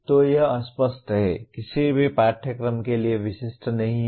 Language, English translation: Hindi, So it is vague, not specific to any course